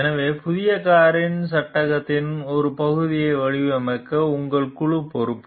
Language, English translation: Tamil, So, your team is responsible for designing part of the frame of the new car